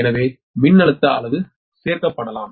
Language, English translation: Tamil, this is voltage is maximum